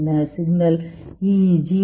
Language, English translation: Tamil, The signal is the EEG